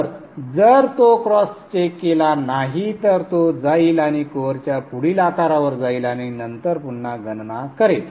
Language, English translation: Marathi, So if that cross check doesn't, it will go and pick the next size of the code and then again do the calculation